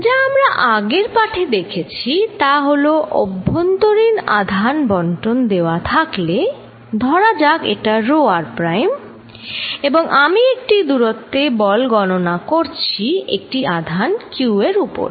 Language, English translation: Bengali, What we learnt in last lecture is interior charge distribution is given, let us say this is rho r prime and I am calculating force on a charge q at a distance